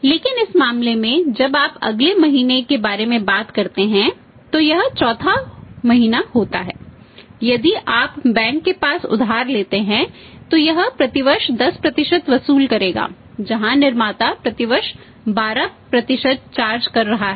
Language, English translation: Hindi, But in this case when you talk about the next month it is a 4th month if you borrow the money from the bank will charge 10% per annum where as the manufacturer is charging 12% per annum